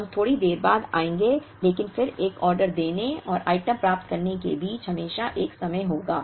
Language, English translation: Hindi, We will come to that a little later but then there would always be a time between placing an order and receiving the item